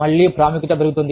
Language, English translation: Telugu, Again, the importance goes up